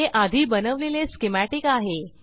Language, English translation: Marathi, Here is the schematic created earlier